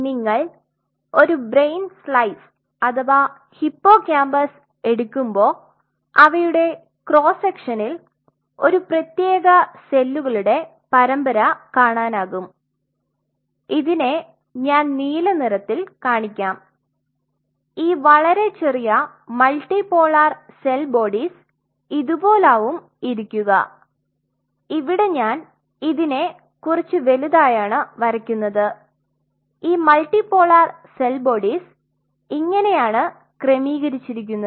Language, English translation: Malayalam, So, in between in a cross section if you ever take a brain slice cut the brain slice or take the hippocampus you will see a series of cells which I am now showing in blue they will be sitting like this a multi polar cell bodies very small this is I am kind of drawing it very big multi polar cell bodies and they will be arrange like this